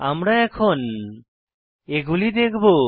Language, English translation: Bengali, We will see them now